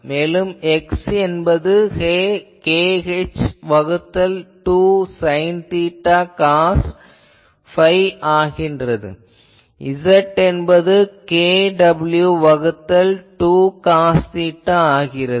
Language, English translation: Tamil, And what is X, X is k h by 2 sin theta cos phi and Z, Z is kw by 2 cos theta